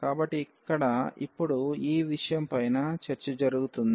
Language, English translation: Telugu, So, that will be the discussion now here